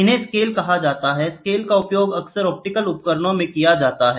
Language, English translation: Hindi, These are called the scales; the scales are often used in optical instruments